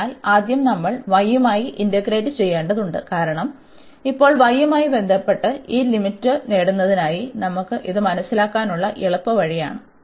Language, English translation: Malayalam, So, first we have to integrate with respect to y, because now with respect to y we have so for getting this limit this is the easiest way to understand